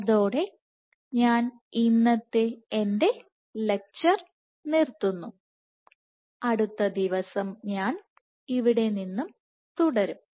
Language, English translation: Malayalam, With that I stop my lecture today and I will continue from here the next day